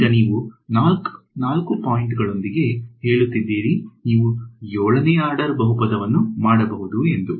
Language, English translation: Kannada, Now, you are saying with 4 points you can do a 7th order polynomial ok